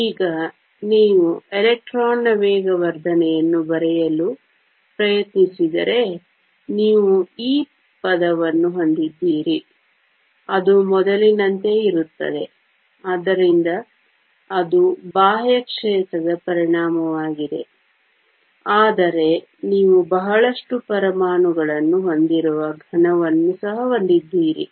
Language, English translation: Kannada, Now, if you try to write the acceleration of the electron, you have the term e E, which is the same as before, so that is the effect of the external field, but you also have a solid where you have a lot of atoms